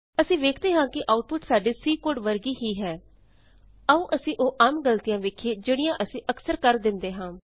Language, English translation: Punjabi, We can see that it is similar to our C code, Now we will see some common errors which we can come across